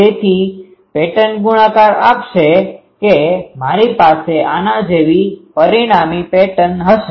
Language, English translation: Gujarati, So, pattern multiplication will give that I will have the resultant pattern like this